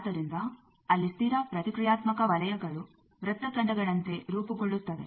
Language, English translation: Kannada, So, there the constant reactance circles will be forming as if arcs